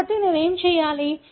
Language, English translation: Telugu, So, what I need to do